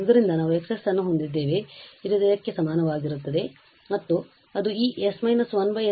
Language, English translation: Kannada, So, we have X s is equal to this 1 and that means this s minus 1 over s square minus 2